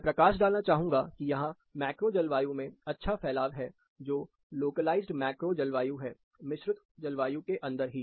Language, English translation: Hindi, I would like to highlight, there is quite a good distribution, among the macro climate, that is localized macro climates, within the composite climate itself